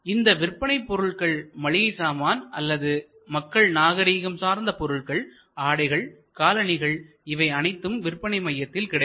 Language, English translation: Tamil, So, whether it are grocery products or various kinds of fashion products, apparels, shoes all these will be available in a central market place